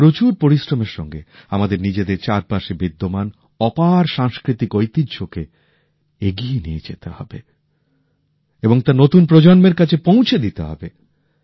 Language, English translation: Bengali, We have to work really hard to enrich the immense cultural heritage around us, for it to be passed on tothe new generation